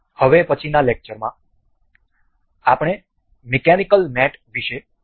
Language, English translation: Gujarati, In the next lecture, we will learn about the mechanical mates